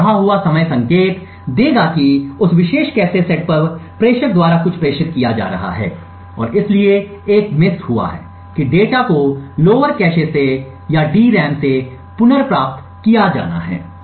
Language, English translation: Hindi, So the increased time would indicate that there is something being transmitted by the sender on that particular cache set and therefore a miss has occurred the data has to be retrieved from the lower cache or from the DRAM